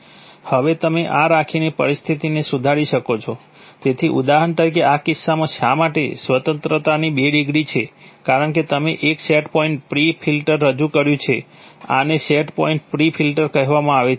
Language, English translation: Gujarati, Now you could, you could improve the, improve the situation by having this, so for example in this case there are two degrees of freedom why, because you have introduced a set point pre filter this is called a set point pre filter